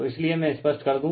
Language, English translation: Hindi, So, therefore let me clear it